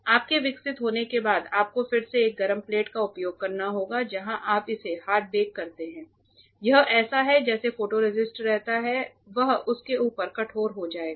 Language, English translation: Hindi, After you develop you again have to use a hot plate where you hard bake it, it is like whatever photoresist remains that will be hardened on top of it